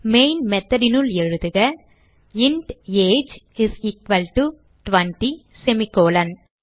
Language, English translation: Tamil, So type inside the main method int age is equal to 20 semi colom